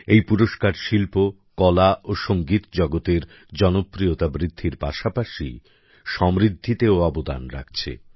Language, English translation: Bengali, These, along with the rising popularity of the art and music world are also contributing in their enrichment